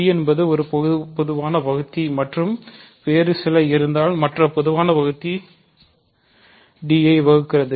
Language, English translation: Tamil, So, d is the common divisor and if there is some other common divisor then that common divisor divides d